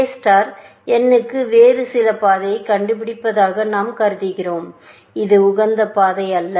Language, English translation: Tamil, We are assuming A star has found some other path to n, which is not the optimal path